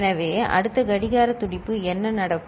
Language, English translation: Tamil, So, next clock pulse what will happen